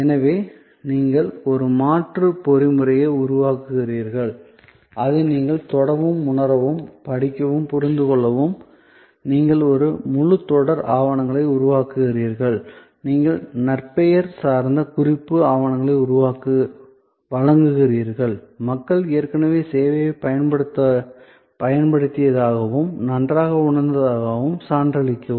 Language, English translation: Tamil, So, you create an alternate mechanism, which you can touch and feel and read and understand is that you create a whole series of documentation, you give reputation oriented referral documentation, give testimonial of people who have already earlier use the service and felt good